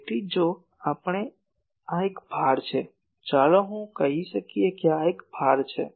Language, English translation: Gujarati, So, if we this is a load let me call this is a load